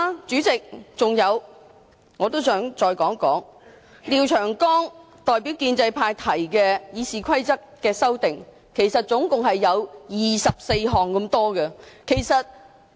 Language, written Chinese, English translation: Cantonese, 再者，廖長江議員代表建制派對《議事規則》共提出了24項修訂建議。, Furthermore Mr Martin LIAO has put forward 24 proposals to amend RoP on behalf of pro - establishment Members